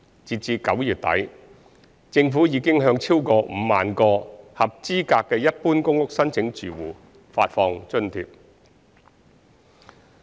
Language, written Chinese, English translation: Cantonese, 截至9月底，政府已向超過5萬個合資格的一般公屋申請住戶發放津貼。, As at end September 2021 the Government had disbursed cash allowances to over 50 000 eligible PRH General Applicant households